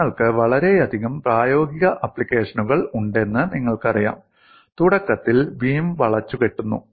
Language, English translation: Malayalam, You have very many practical applications, where initially the beam is bent